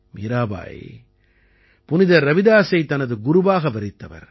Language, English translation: Tamil, Mirabai considered Saint Ravidas as her guru